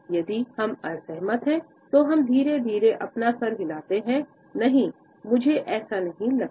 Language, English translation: Hindi, If we disagree, we tend to slowly shake our heads, “No, I do not think so